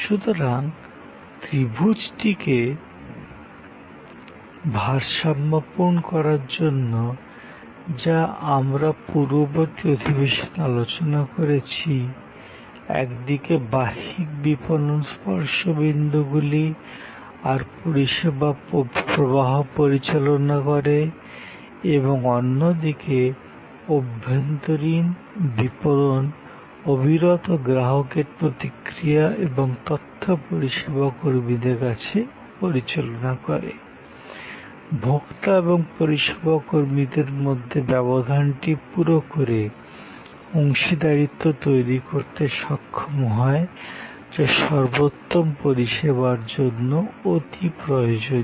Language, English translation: Bengali, So, this need of balancing the triangle which we had discussed in a previous session, on one side external marketing managing the touch points and the service flow and on the other side internal marketing managing the flow of feedback, information, customer reaction continuously to your own people, bridge the gap between the consumer and the service employees to create the partnership which is essential for excellent service